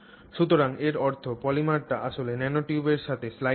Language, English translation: Bengali, So, the polymer is sliding with respect to the nanotube